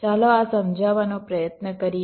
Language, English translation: Gujarati, lets try to explain this